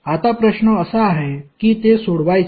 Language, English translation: Marathi, Now, the question is that how to solve it